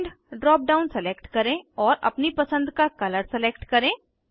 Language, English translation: Hindi, Select End drop down and select colour of your choice